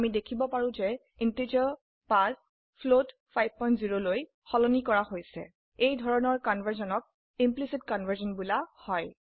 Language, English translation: Assamese, We can see that the integer 5 has been converted to float 5.0 This type of conversion is called implicit conversion